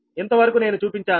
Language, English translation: Telugu, up to this i have shown ah